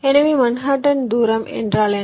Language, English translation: Tamil, so what is manhattan distance